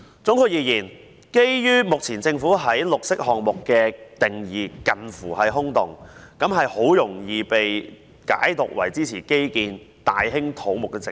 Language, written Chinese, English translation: Cantonese, 總括而言，目前政府對"綠色項目"沒有明確定義，很容易被解讀為支持基建、大興土木的藉口。, In a nutshell the Government has yet to give a clear definition of green project which can easily be interpreted as a pretext for supporting infrastructure projects and large - scale construction works